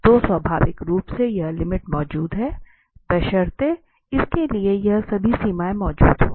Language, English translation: Hindi, So, naturally this limit exists, provided these all limits exist